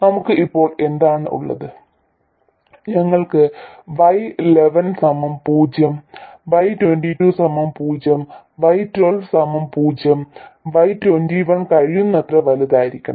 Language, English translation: Malayalam, We have Y11 equals 0, Y22 equals 0, and Y211 should be as large as possible